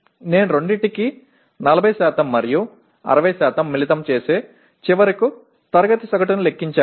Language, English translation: Telugu, I combine 40% and 60% for both and then I compute the finally class average